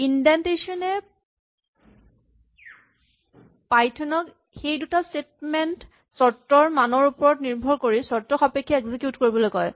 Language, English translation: Assamese, The indentation tells Python that these two statements are conditionally executed depending on the value of this condition